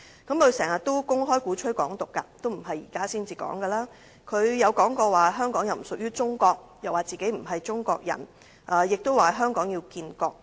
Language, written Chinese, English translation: Cantonese, 他經常公開鼓吹"港獨"，不是現在才說，他亦曾說香港不屬於中國、自己不是中國人，以及香港要建國。, He often publicly advocates Hong Kong independence so he does not champion it only now . He also once said that Hong Kong does not belong to China that he is not Chinese and that Hong Kong should become a nation